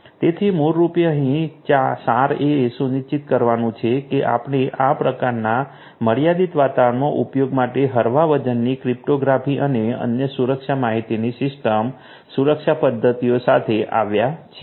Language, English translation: Gujarati, So, then so basically the essence over here is to ensure that we come up with lightweight cryptographic and other security information system security methods for use in this kind of constrained environments